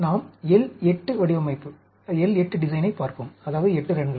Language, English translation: Tamil, Let us look at L 8 design; that means, 8 runs